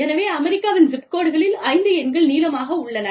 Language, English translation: Tamil, So, US zip codes are, five numbers long